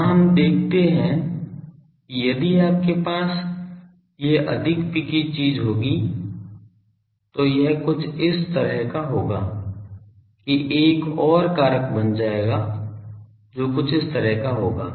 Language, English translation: Hindi, Let us look here that if you have these the more picky thing will be something like this make another factor that will be something like this